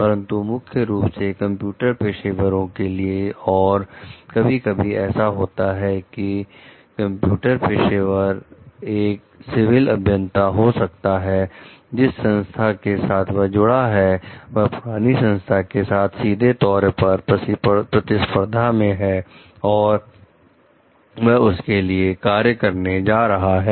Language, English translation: Hindi, But mainly for the computer professionals and sometimes like it so, happens like for the computer professionals, maybe the civil engineers, the organization that they are joining next is a direct competitor of the earlier organization that they worked for